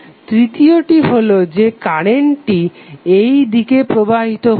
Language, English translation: Bengali, Third is the current which is flowing in this direction